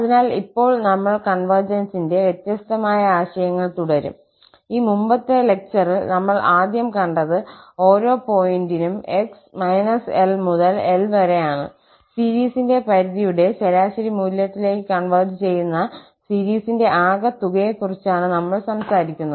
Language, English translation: Malayalam, So, now, we will continue with the different notions of convergence, the first one which we have already seen in this previous lecture, where for each point x in the interval minus L to L, we were talking about the sum of the series converging to this average value of the limits of the function at x